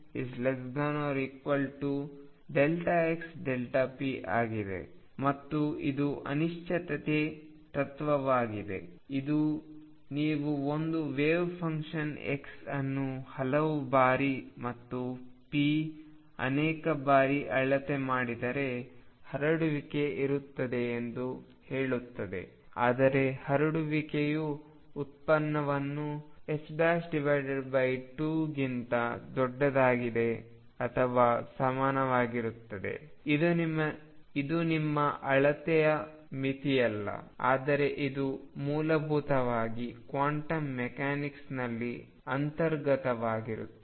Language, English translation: Kannada, And this is the uncertainty principle, which says that if you measure for a wave function x many many times and p many many times there will be a spread, but the spread is going to be such that it is product will be greater than or equal to h cross by 2, it is not a limitation of your measurement, but this is fundamentally inherent in quantum mechanics